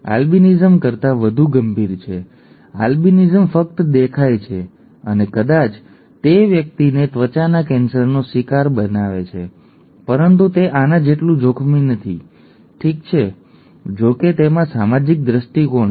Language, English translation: Gujarati, This is more serious than albinism, albinism is merely looks and maybe it it makes the person prone to cancer and so on, skin cancer but it is not as dangerous as this, okay, but it has a social angle to it so that could also be considered in point putting off